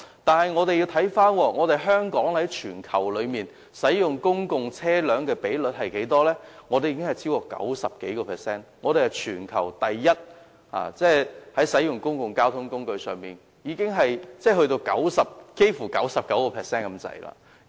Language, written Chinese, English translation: Cantonese, 但是，我們也要看看香港在全球使用公共車輛的比率，香港已超過 90%， 是全球第一，即香港使用公共車輛的比率幾乎達 99%。, However we also need to take a look at Hong Kongs global position in using public transport . With our usage rate over 90 % Hong Kong is rated first in the world for using public transport . Our usage rate almost reaches 99 %